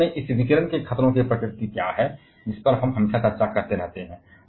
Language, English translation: Hindi, Exactly, what are the nature of this radiation hazards that we always keep on discussing